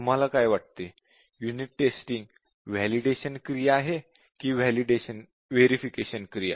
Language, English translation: Marathi, Now, what do you think, would unit testing be a validation activity or a verification activity